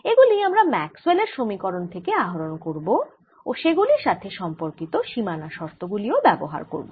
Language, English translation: Bengali, we want to understand that and this we should be able to derive from maxwell's equations and related boundary conditions